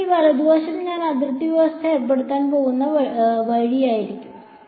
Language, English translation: Malayalam, This right hand side over here is going to be the way I am going to impose the boundary condition